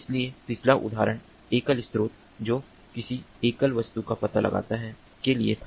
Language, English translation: Hindi, so the previous example was for a single source detecting a single object